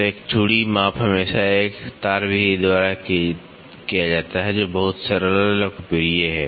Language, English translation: Hindi, So, a thread measurement is always conducted by a wire method, which is very simple and popular